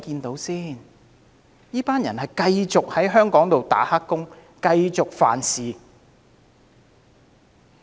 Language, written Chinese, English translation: Cantonese, 他們將繼續留在香港做黑工，繼續犯法。, They will then continue to work illegally and commit crimes